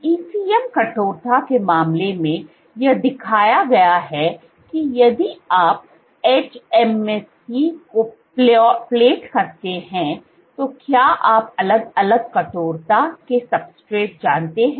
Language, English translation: Hindi, So, in the case of ECM stiffness, it shown that if you plate hMSC on is you know substrates of varying stiffness